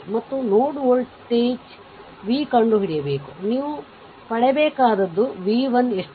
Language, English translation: Kannada, And we have to find out, right node volt v you have to obtain v 1 is equal to how much